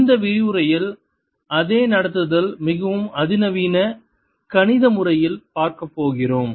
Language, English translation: Tamil, in this lecture we are going to see the same treatment in a more sophisticated mathematical method